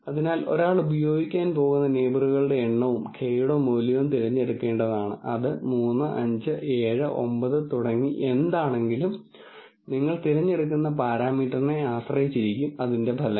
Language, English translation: Malayalam, So, one has to choose the number of neighbors that one is going to use, the value of k, whether its 3 5 7 9 whatever that is, and the results can quite significantly depend on the parameter that you choose